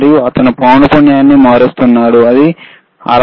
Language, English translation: Telugu, And he is changing the frequency, which is about 66